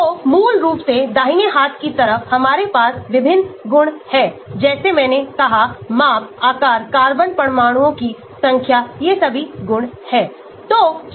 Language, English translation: Hindi, So, basically so on the right hand side, we have the various properties like I said size, shape, number of carbon atoms all these are properties